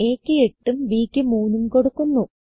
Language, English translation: Malayalam, I enter a as 8 and b as 3